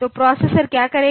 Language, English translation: Hindi, So, what the processor will do